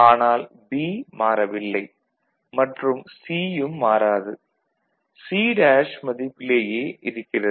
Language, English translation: Tamil, So, we see that B is not changing right and C is not changing and remaining with the value C bar